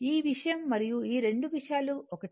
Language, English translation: Telugu, This thing and this 2 things are same